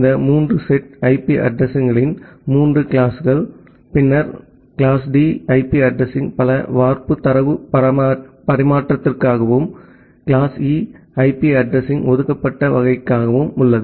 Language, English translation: Tamil, These 3 sets of a 3 classes of IP addresses and then class D IP address is for a multi cast data transfer and class E IP address is for the reserved category